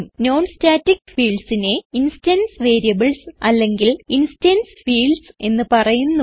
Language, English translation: Malayalam, Non static fields are also known as instance variables or instance fields